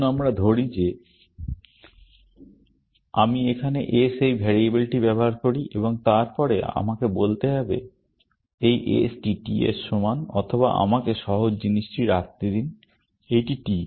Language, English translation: Bengali, Let us say I use this variable s here, and then, I will have to say this s equal to t, or let me just keep to simple thing; see, this is t